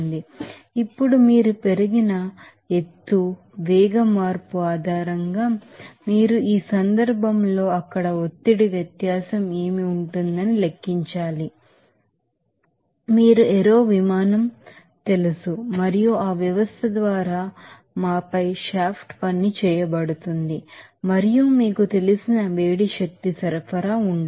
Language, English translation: Telugu, Now, based on the you know velocity change that elevated height you have to calculate that what would the pressure difference there in this case we are considering that there will be a frictionless movement of that you know aero plane and also there will be no you know shaft work done on us done by that system and also there will be no heat energy supply to the you know, system there